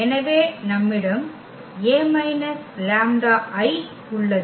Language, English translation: Tamil, So, we have this A minus lambda I